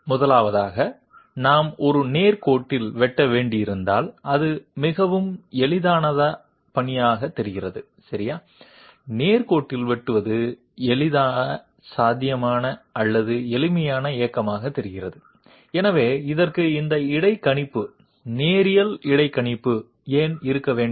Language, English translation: Tamil, First of all, if we have to cut along a straight line, it apparently seems to be quite an easy task okay, cutting along the straight line seems to be the easiest possible or the simplest possible movement, so why do we have to have this interpolator, linear interpolator for this